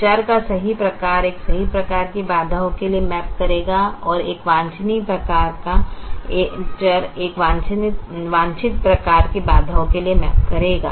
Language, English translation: Hindi, so the correct kind of variable will map to a correct type of constraints and the, the not so desirable type of variable, will map to a not so desirable type of constraints